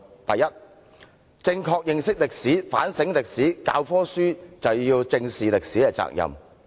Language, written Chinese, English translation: Cantonese, 第一，正確認識歷史，反省歷史，教科書便要正視歷史責任。, First if we want to understand history correctly and reflect on history textbook producers shall bear the responsibility to squarely face history